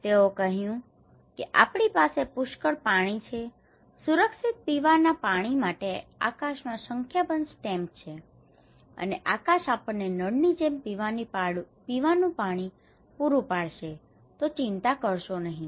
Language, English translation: Gujarati, They said hey, come on we have plenty of water actually, numerous stamps in the sky for safe drinking water, the sky will provide us drinking water and do not worry, yes like this tap